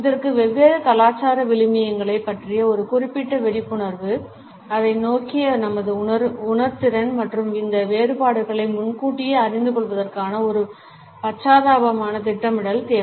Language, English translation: Tamil, It requires a certain awareness of different cultural values, our sensitivity towards it and an empathetic planning to foresee these differences and plan for them